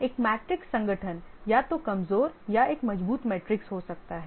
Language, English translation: Hindi, A matrix organization can be either a weak or a strong matrix